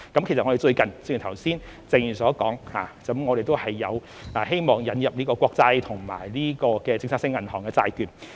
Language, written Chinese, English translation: Cantonese, 其實，正如剛才謝議員所指，我們最近也希望引入國債及政策性銀行的債券。, In fact as Mr TSE pointed out just now we wish to introduce sovereign bonds and policy bank bonds recently